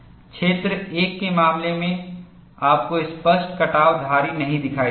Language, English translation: Hindi, In the case of region 1, you will not see clear cut striations